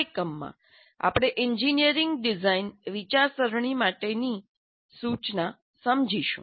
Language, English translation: Gujarati, And in this unit, we'll understand instruction for engineering, design thinking